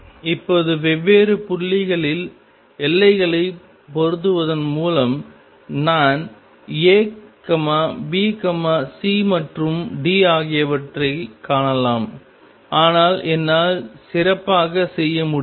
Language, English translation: Tamil, Now by matching the boundaries at different points I can find A B C and D, but I can do better